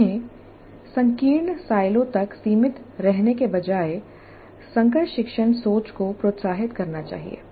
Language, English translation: Hindi, Instead of being confined to narrow silos, they must encourage cross discipline thinking